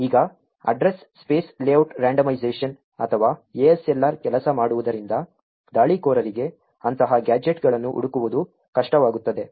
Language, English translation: Kannada, Now the Address Space Layout Randomisation or the ASLR works so as to make it difficult for the attacker to find such gadgets